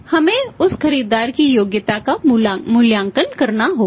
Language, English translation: Hindi, We will have to evaluate the worth of that buyer